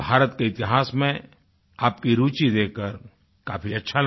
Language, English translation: Hindi, It feels great to see your interest in India's history